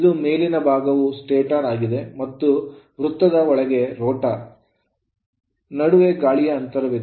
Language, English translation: Kannada, This, this upper part is a stator and inside circle is rotor and between is that air gap is there